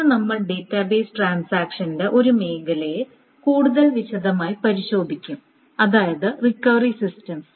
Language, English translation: Malayalam, Today we will go over one area of the database transactions in much more detail which is the recovery systems